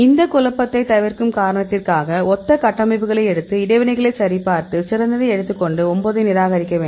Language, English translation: Tamil, So, in this reason to avoid all this confusion; we take the similar structures and check the interactions; so take the best and discard all the 9